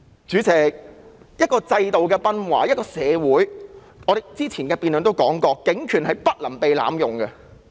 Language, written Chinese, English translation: Cantonese, 主席，一個制度的崩壞，一個社會......我們之前的辯論也提過，警權是不能被濫用的。, President when a system falls and society As mentioned in previous debates the Police should not abuse their power